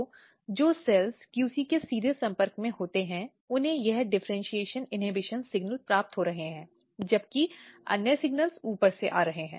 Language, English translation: Hindi, So, the cells which are in direct contact with the QC they are receiving this differentiation inhibition signals, whereas these signals are coming from top